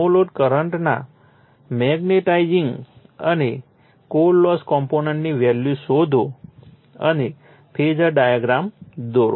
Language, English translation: Gujarati, Determine the value of the magnetizing and core loss component of the no load current and draw the phasor diagram